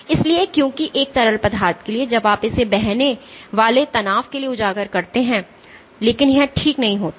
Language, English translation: Hindi, So, because for a fluid when you expose it to stress it flows, but it does not recover